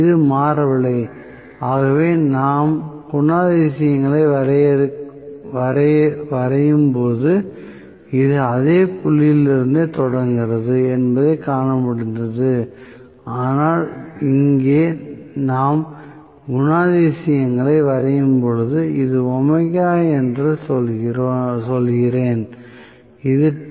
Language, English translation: Tamil, It did not change, so, we could see that it was starting from the same point when we drew the characteristics, but here, when we draw the characteristics, I say this is omega, and this is Te